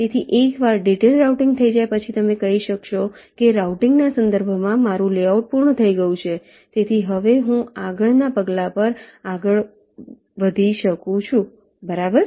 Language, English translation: Gujarati, so once detailed routing is done, you can say that, well, my layout in terms of routing is complete, so now i can move on to the next step